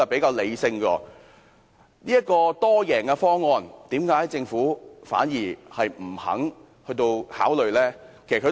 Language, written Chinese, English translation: Cantonese, 既然有這個多贏方案，為何政府不肯考慮？, Why wouldnt the Government consider this all - win option?